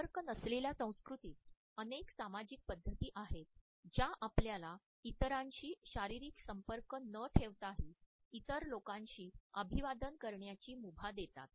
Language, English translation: Marathi, There are several societal practices in non contact cultures which allow us to greet other people without having a physical contact with others